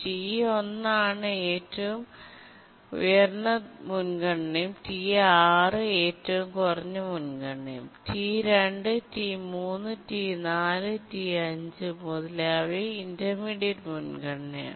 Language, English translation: Malayalam, T1 is the highest priority and T6 is the lowest priority and T2, T3, T4, T 5 etc